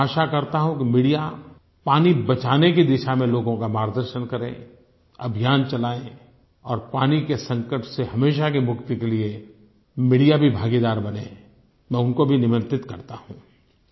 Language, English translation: Hindi, I hope that the Media will show the path to the people on how to save water, start a campaign, and also share the responsibility to free us from the water crisis forever; I invite then as well